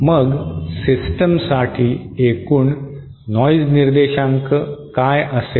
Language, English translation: Marathi, Then, what will be the overall noise figure for the system